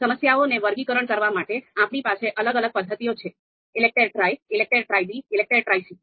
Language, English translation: Gujarati, Then for sorting problems, we have different methods ELECTRE Tri, you know ELECTRE Tri B, ELECTRE Tri C